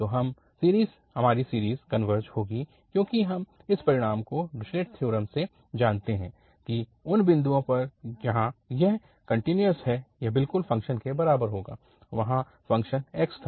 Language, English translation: Hindi, So, this series will converge because we know this result from the, from the Dirichlet theorem that at the points where it is continuous it will be equal to exactly the function, the function was x there